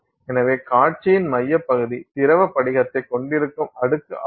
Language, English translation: Tamil, So, the central part of the display is this layer which has the liquid crystal